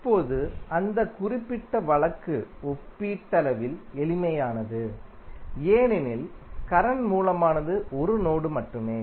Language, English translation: Tamil, Now, that particular case was relatively simple because mesh the current source was in only one mesh